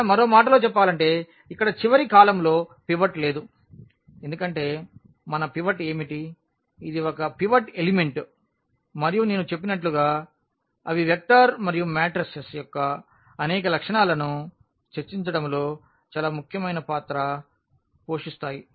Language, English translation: Telugu, Or in other words we do not have pivot in the last column here because what are our pivot this is a pivot elements and as I said they play away play very important role in discussing several properties of the vector and mattresses